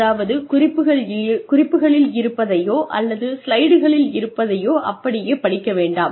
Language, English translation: Tamil, And, do not read things from them from your notes or, from your slides